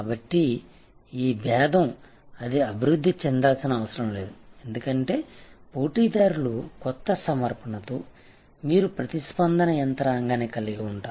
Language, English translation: Telugu, So, this differentiation is not setting it needs to evolve as the competitors will come up with new offerings you have to have a response mechanism